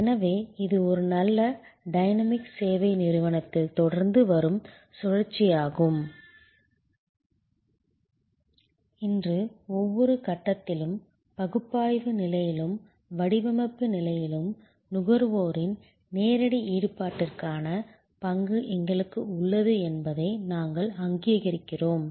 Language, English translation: Tamil, So, this is the cycle that continuous in a good dynamic service company and today, we recognize that we have a role for direct involvement of the consumer at every stage, the analysis stage, design stage